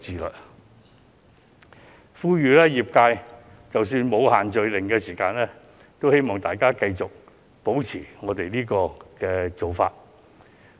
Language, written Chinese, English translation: Cantonese, 我在此呼籲業界，即使"限聚令"取消，亦應繼續採取上述措施。, I call on the trade to maintain the measures mentioned above even if the group gathering ban is lifted